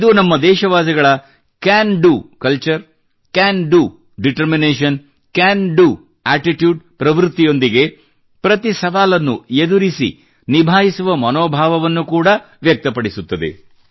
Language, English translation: Kannada, It also shows the spirit of our countrymen to tackle every challenge with a "Can Do Culture", a "Can Do Determination" and a "Can Do Attitude"